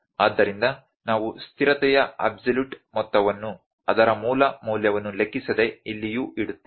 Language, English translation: Kannada, So, we will put absolute value of the constant here as well, irrespective of it is original value